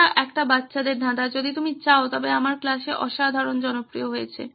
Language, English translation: Bengali, This is a kid’s puzzle if you will but has been a tremendous hit in my class